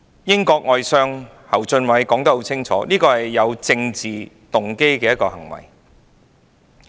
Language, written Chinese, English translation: Cantonese, 英國外相侯俊偉說得很清楚，這是有政治動機的行為。, British Foreign Secretary Jeremy HUNT made it very clear that this move was politically motivated